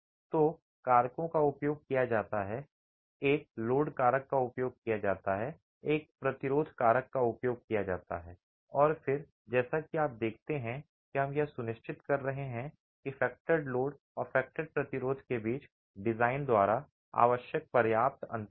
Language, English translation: Hindi, So factors are used, a load factor is used, a resistance factor is used, and then as you see we are ensuring that there is a sufficient gap as required by the design between the factored load and the factored resistance and the design therefore becomes a way of ensuring that the design resistance is greater than or equal to the design load effect